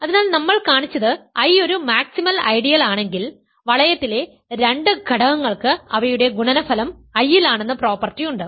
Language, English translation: Malayalam, So, what we have shown is if I is a maximal ideal and two elements in the ring have the property that their product is in I one of them must be in I so, I is prime